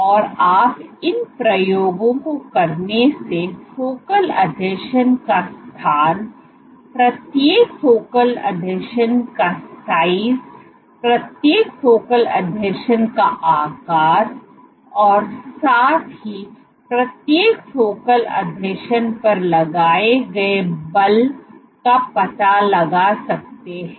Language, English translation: Hindi, So, you can find out by doing these experiments, you can find out the location of the focal adhesion, the size of each focal adhesion, the shape of each focal adhesion and as well as the force exerted at each focal adhesion